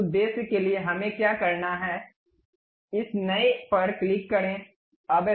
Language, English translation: Hindi, For that purpose, what we have to do, click this new